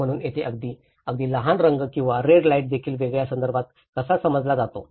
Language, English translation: Marathi, So this is where again even a small colour or a red light how it is perceived in a different context